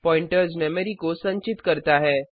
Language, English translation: Hindi, Pointers store the memory address